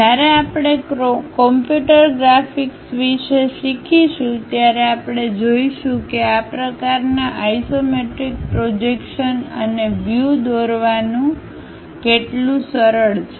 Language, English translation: Gujarati, When we are learning about computer graphics we will see, how easy it is to construct such kind of isometric projections and views